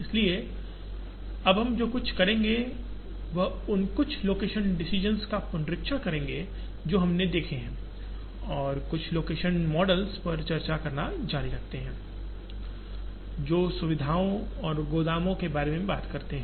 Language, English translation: Hindi, So, what we will do now is revisit some of the location decisions that we have seen and continue to discuss some location models that talk about locating facilities and warehouses